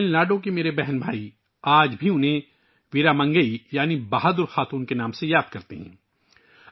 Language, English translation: Urdu, My brothers and sisters of Tamil Nadu still remember her by the name of Veera Mangai i